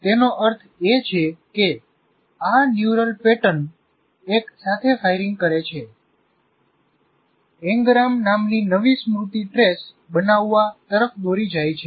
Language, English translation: Gujarati, That means these neural patterns firing together, if one fires, they all fire, leads to forming a new memory trace called n gram